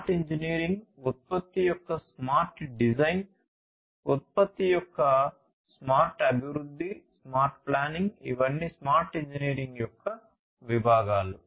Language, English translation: Telugu, Smart engineering, smart design of the product, smart development of the product, smart planning all of these are different constituents of smart engineering